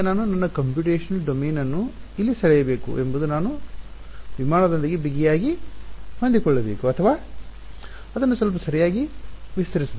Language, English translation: Kannada, Now the question is where should I draw my computational domain should I just make it tightly fitting with the aircraft or should I expand it a bit right